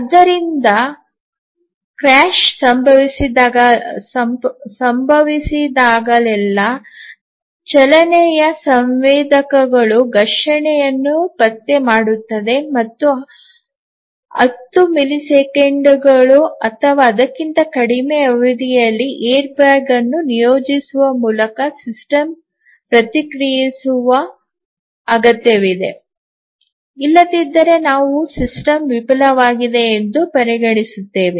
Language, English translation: Kannada, So, whenever there is a automobile crash the motion sensors detect a collision and the system needs to respond by deploying the airbag within ten millisecond or less otherwise we will consider the system to have been failed